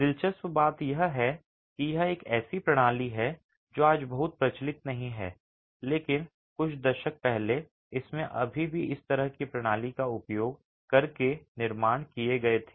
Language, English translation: Hindi, Interestingly this is a system that is of course not very prevalent today, but a few decades ago we still had constructions being made using this sort of a system